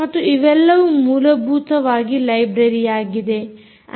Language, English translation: Kannada, so these are all libraries, essentially, right